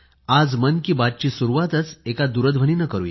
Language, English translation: Marathi, Let us begin today's Mann Ki Baat with a phone call